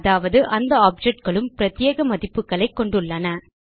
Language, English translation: Tamil, This means that the two objects have unique values